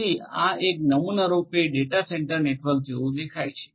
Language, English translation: Gujarati, So, this is a typical data centre network how it looks like right